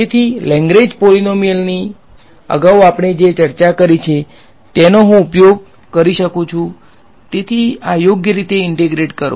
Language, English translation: Gujarati, So, I can use what we have discussed earlier the Lagrange polynomials so integrate this guy out right